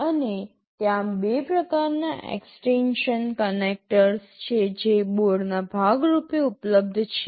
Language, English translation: Gujarati, And, there are two types of extension connectors that are available as part of the board